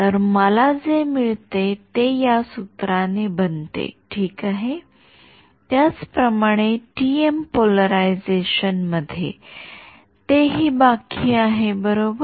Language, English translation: Marathi, So, this formula makes is what I get ok, similarly in the TM polarization, that is also remaining right